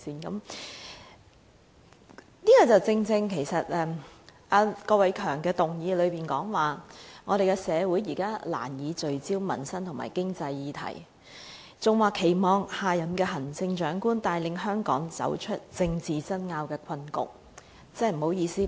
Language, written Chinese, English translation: Cantonese, 這正正是......郭偉强議員的議案內容是，社會難以聚焦民生及經濟議題，故期望下任行政長官帶領香港走出政治爭拗的困局。, This is exactly Mr KWOK Wai - keungs motion says that as society can hardly focus on livelihood and economic issues he hopes that the next Chief Executive can lead Hong Kong out of the predicament of political disputes